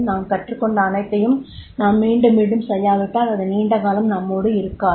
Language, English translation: Tamil, Unless and until whatever we have learned we do not repeat it, it will not be long lasting